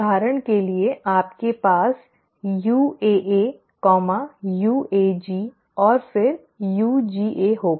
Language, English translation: Hindi, For example you will have UAA, UAG and then UGA